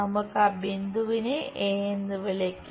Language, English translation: Malayalam, let us call that point a